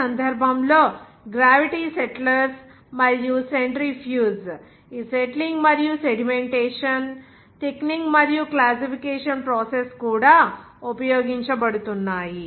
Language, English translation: Telugu, In this case, gravity settlers and centrifuge are being used for this settling and sedimentation, even thickening and classification process